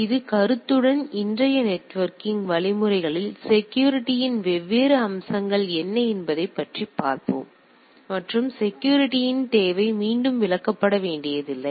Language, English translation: Tamil, So, with this notion let us look at that what are the different aspects of security of means today’s networking and the need of security need not to be explained again